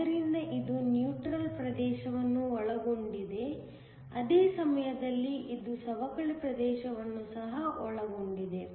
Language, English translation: Kannada, So, this includes the neutral region; at the same time, it also includes the depletion region